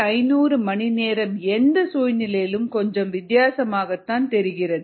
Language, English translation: Tamil, seven thousand five hundred hours seems a little odd for any situation